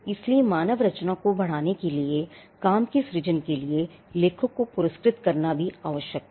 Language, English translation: Hindi, So, rewarding the author for the creating creation of the work was essential for promoting human creativity